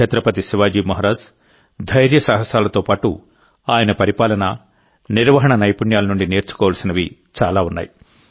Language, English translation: Telugu, Along with the bravery of Chhatrapati Shivaji Maharaj, there is a lot to learn from his governance and management skills